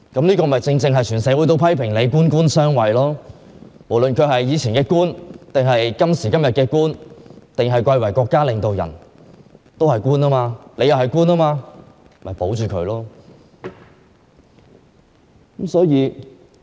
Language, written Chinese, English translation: Cantonese, 正因如此，整個社會皆批評她官官相護，因為梁振英過去是官員，今天是國家領導人之一，是官員，而鄭若驊也是官員，因此要維護梁振英。, Precisely for this reason the entire community has lashed out at her saying that her decision is tantamount to harbouring another official . They say so because LEUNG Chun - ying is a former government official and also a current Chinese state leader―a kind of official as well―and Teresa CHENG is likewise a government official so she must protect LEUNG Chun - ying